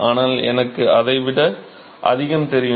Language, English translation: Tamil, But I know much more than that